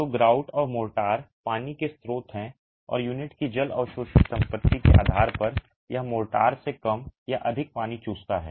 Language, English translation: Hindi, So, the grout and the motor are sources of water and depending on the water absorption property of the unit it sucks up less or more water from the mortar